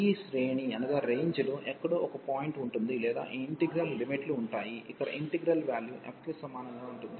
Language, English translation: Telugu, So, there will be a point somewhere in this range or the limits of this integral, where the integral value will be equal to f